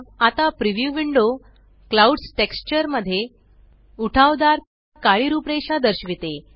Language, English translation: Marathi, now the preview window shows hard black outlines in the clouds texture